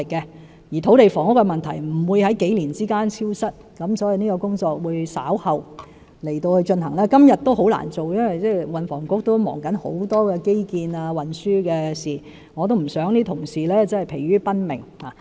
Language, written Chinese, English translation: Cantonese, 再者，土地房屋問題不會在數年間消失，所以這項工作會稍後進行，而今天也很難做到，因為運房局正忙於很多基建及運輸的事務，我不想同事疲於奔命。, Moreover land and housing problems will not disappear in a few years . As the Transport and Housing Bureau is now fully stretched in dealing with various infrastructure projects and transport matters the restructuring exercise will be kicked - started later and it is difficult to be accomplished for the time being . For I do not wish to keep our colleagues constantly on the run